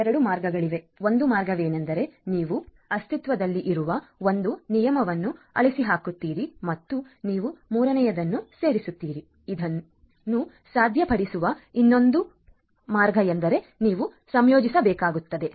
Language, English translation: Kannada, There are 2 ways, one way is that you delete one existing rule and you insert the third one the other possibility is that you have to combine